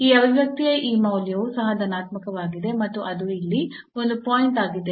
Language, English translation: Kannada, So, this value of this expression is also positive and that is a point here